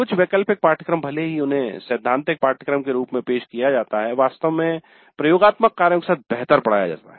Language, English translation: Hindi, Some of the elective courses, even though they are offered as theory courses, are actually better taught along with the laboratory